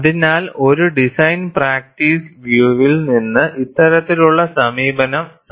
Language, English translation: Malayalam, So, this kind of approach is viable, from a design practice point of view